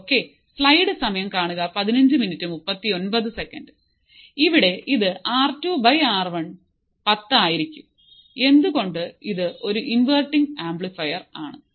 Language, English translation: Malayalam, So, here it will be R 2 by R 1 equals to 10, why because it is an inverting amplifier